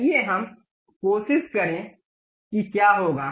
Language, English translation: Hindi, Let us try that what will happen